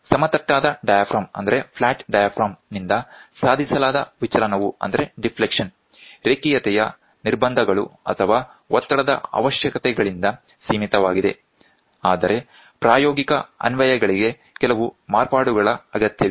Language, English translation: Kannada, The deflection attained by the flat diaphragm is limited by linearity constraints or stress requirements; however, for practical applications, some modifications are required